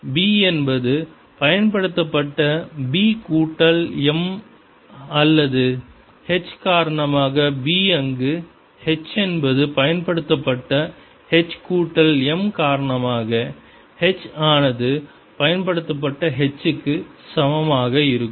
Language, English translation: Tamil, this is a solution for m and therefore b, which is b applied plus b due to m, or h, which is h applied plus h due to m, is going to be equal to h